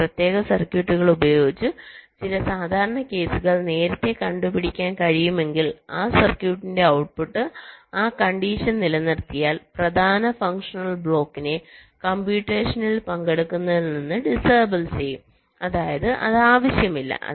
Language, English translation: Malayalam, if some of the common cases can be detected early by using some special circuits, then the output of that circuit can disable the main functional block from participating in the calculation if that condition holds, which means it is not required